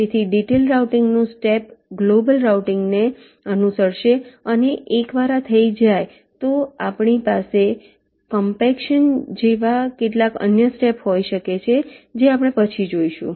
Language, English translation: Gujarati, so the step of detailed routing will follow global routing and once this is done, we can have some other steps, like compaction, which we shall be seeing later now